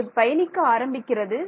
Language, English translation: Tamil, Yeah, it's going to travel